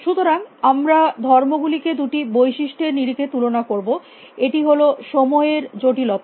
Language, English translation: Bengali, So, we want to compare properties on two features; one is time complexity